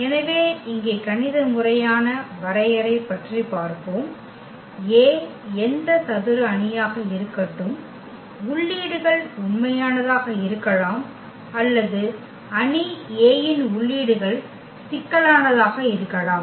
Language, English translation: Tamil, So, the definition the mathematical formal definition here: let A be any square matrix, the entries can be real or the entries of the matrix A can be complex